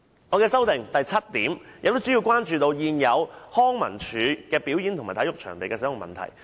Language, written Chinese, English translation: Cantonese, 我修正案的第七項，主要關注現有康樂及文化事務署的表演及體育場地的使用問題。, Part 7 of my amendment focuses on the use of performance and sports venues under the Leisure and Cultural Services Department LCSD